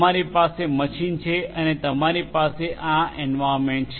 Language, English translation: Gujarati, You have a machine and you have this environment